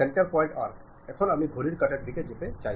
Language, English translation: Bengali, Center point arc, first point arc, now I want to move clockwise direction